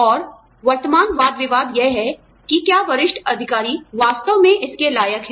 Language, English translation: Hindi, And, the current debate is that, are the senior officials, really worth it